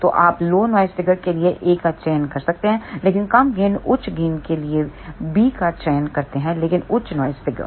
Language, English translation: Hindi, So, you can choose A for lower noise figure, but lower gain choose B for higher gain but higher noise figure